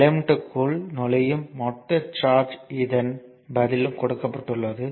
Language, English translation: Tamil, This is also given the total charge entering the element this is also answers given